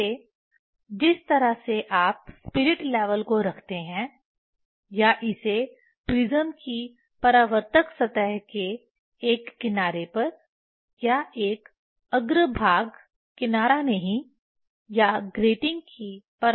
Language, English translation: Hindi, Again the way spirit level you put this way either one edge of the reflecting surface of the prism or one face not edge or the reflecting surface of the grating